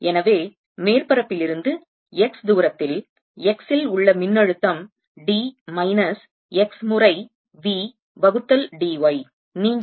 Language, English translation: Tamil, therefore, at a distance x from the surface, the potential at x is going to be d minus x times we divided by d